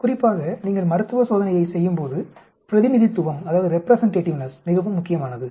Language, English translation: Tamil, Representativeness is very important especially when you are doing the clinical trail